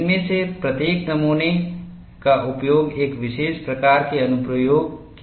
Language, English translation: Hindi, Each of the specimens is used for a particular kind of application